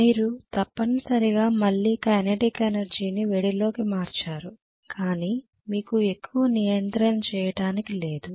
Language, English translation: Telugu, You are essentially having again kinetic energy converted into heat but you are not having much control